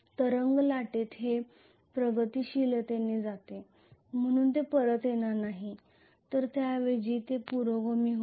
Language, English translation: Marathi, Whereas in wave winding this goes progressively, so it will not fold back it will rather go progressive like this